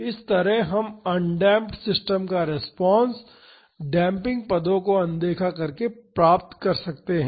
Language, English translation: Hindi, Similarly, we can find the response for an undamped system by ignoring this damping terms